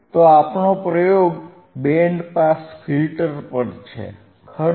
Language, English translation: Gujarati, So, our experiment is on band pass filter, right